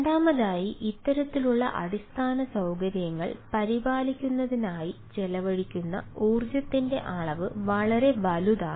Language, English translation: Malayalam, secondly, the amount of energy spent ah in maintaining this ah type of infrastructure is enormous, right and what